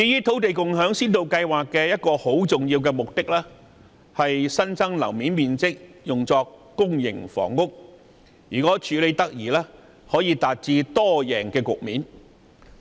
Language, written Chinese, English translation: Cantonese, 土地共享先導計劃的一個重要目的，是把新增樓面面積用作興建公營房屋。如果處理得宜，將可達致"多贏"。, As regards the Land Sharing Pilot Scheme with the key objective of using the increased floor areas for public housing development its proper implementation will create a multi - win situation